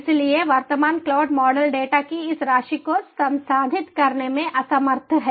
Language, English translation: Hindi, so the current cloud model is enable to process these amount of data